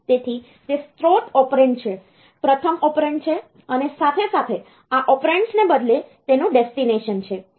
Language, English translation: Gujarati, So, it is the source operand, the first operand, and as well as the destination of these instead of these operations